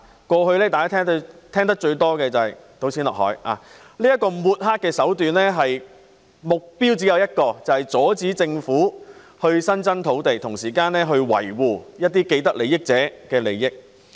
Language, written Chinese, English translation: Cantonese, 過去，大家聽到最多的說法是"倒錢落海"，這種抹黑手段只有一個目標，便是阻止政府增加土地，同時維護既得利益者的利益。, In the past the feedback we heard most often is dumping money into the sea . Such smear tactics only have one objective that is to prevent the Government from increasing land supply so as to safeguard the interests of those with vested interests